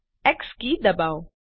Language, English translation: Gujarati, press the key X